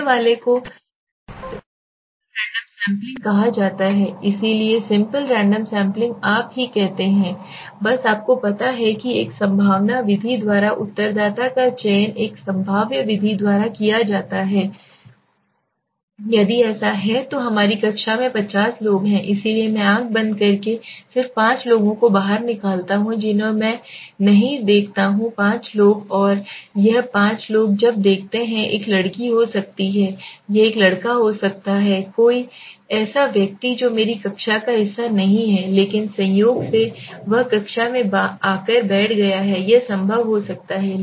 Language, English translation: Hindi, The first one is called the simple random sampling so simple random sampling says you just simply you know select the respondent by a chance method right by a probabilistic method so if there are let us say 50 people in my class so I blindly I just pull out 5 people I do not see and pull out 5 people and this 5 people when I see it might be a girl it might be a boy it might be somebody who is not a part of my class but by chance he has come out into the class and sitting that could be possible